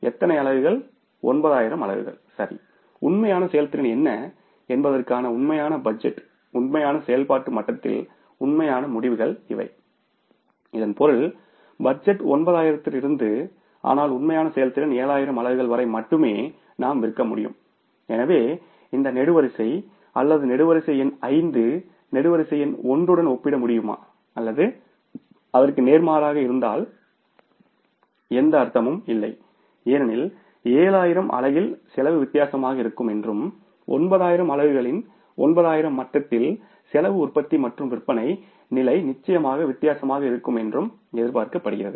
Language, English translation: Tamil, Now in this case first of all you look at the column number 1 and column number 5 right so these are the two columns this is actual performance is the master budget so since comparison was not possible but being 7 and 9 so we created this column also that is a column number 3 means we created a budget for the 7,000 units level and then we first compared the column number 5 with the column number 3 and then the column number 3 with the column number 1 right so two variances have been found out first of all the level of activity has come down from the 9 to 7 so for, for the 9,000 units level of production and sales, if this much is the expected cost and finally the operating income, so how actually it has miss it should be in case of the 7,000 units